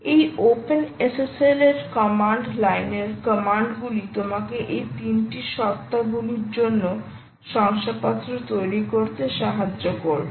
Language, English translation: Bengali, this openssl commands in command line will allow you to create all these, ah, these certificates for all these three entities